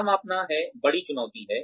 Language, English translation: Hindi, What to measure, is a big challenge